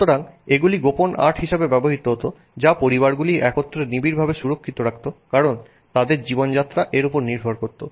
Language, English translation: Bengali, So these used to be secret arts that were held together closely safeguarded by families because their livelihoods depended on it